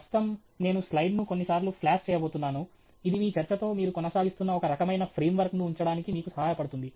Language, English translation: Telugu, Right now, I am just going to flash the slide a few times, that helps us to keep, you know, some kind of a frame work through which you are proceeding with your talk